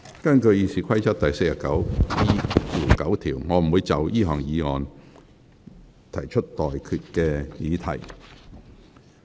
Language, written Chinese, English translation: Cantonese, 根據《議事規則》第 49E9 條，我不會就議案提出待決議題。, In accordance with Rule 49E9 of the Rules of Procedure I will not put any question on the motion